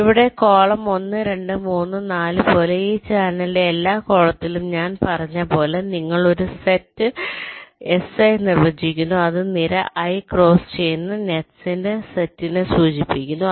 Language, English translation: Malayalam, so so, as i said, along every column of this channel, like here column one, two, three, four, like this, you define a set, s i, which will denote the set of nets which cross column i